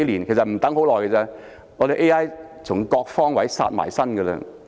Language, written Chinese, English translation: Cantonese, 不用多久 ，AI 便會從各個方位殺到。, It will not take long for AI to loom from all directions